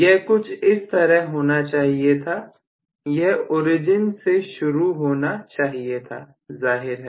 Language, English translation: Hindi, It should have been somewhat like this, it should have started from the origin, obviously